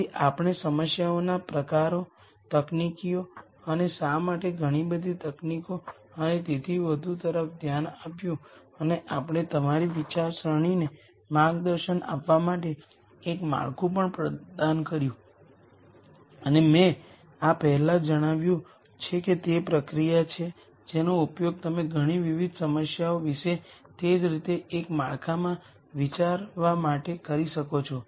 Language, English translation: Gujarati, So, we looked at the types of problems, the techniques and why so many techniques and so on and we also provided a framework to guide your thought process and as I mentioned before this is a process that you can use to think about many different problems in a framework in the same way